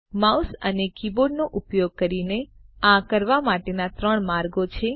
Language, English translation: Gujarati, There are three ways of doing this using the mouse and the keyboard